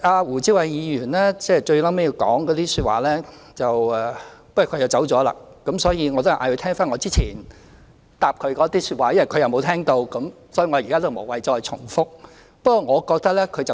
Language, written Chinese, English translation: Cantonese, 胡志偉議員最後的發言......不過他離席了，所以我還是請他翻聽我之前回答他的說話，因為他沒有聽到，我現在無謂重複。, The last speech of Mr WU Chi - wai But he has left so I would like to ask him to listen to what I said in reply to his comments earlier as he did not hear it . There is no point in repeating it now